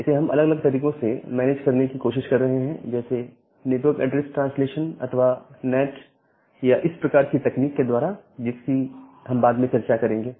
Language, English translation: Hindi, So, we are trying to manage with different ways like, using the network address translation NAT this kind of techniques that we discussed earlier